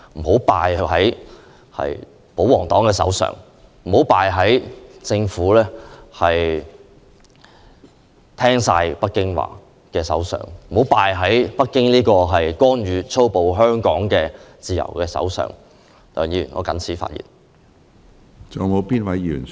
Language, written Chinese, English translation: Cantonese, 香港不應敗在保皇黨手上，不應敗在只聽北京說話的政府手上，不應敗在粗暴干預香港自由的北京政府手上。, Hong Kong should not perish in the hands of royalists; Hong Kong should not perish in the hands of the Government which always toes the line of Beijing; Hong Kong should not perish in the hands of the Beijing Government which violently interferes in the freedom of Hong Kong